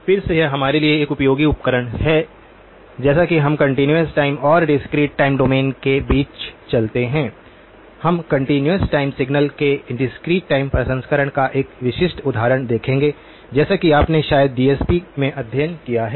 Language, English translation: Hindi, Again this is a useful tool for us as we move between the continuous time and the discrete time domains, we will look at a specific example of discrete time processing of continuous time signals as you probably have studied in DSP